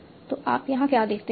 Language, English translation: Hindi, So, so what do you see here